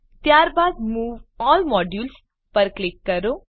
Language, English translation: Gujarati, Then click on Move All Modules